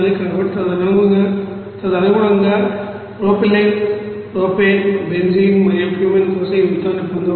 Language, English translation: Telugu, So accordingly this amount respectively for propylene, propane, benzene and Cumene can be obtained